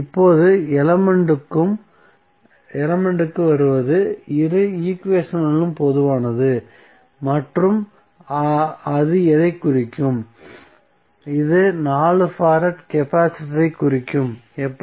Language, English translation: Tamil, So, now comes to the element which is common in both equations and what it will represent, it will represent 4 farad capacitor, how